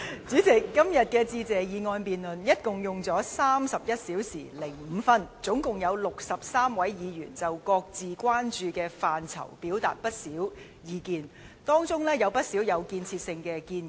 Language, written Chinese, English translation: Cantonese, 主席，今天有關"致謝議案"的辯論歷時共31小時5分鐘，共有63位議員就各自關注的範疇表達了不少意見，當中有不少屬有建設性的建議。, President the debate on the Motion of Thanks this time has taken up 31 hours and 5 minutes in total and a total of 63 Members have expressed many views regarding the policy areas of concern to us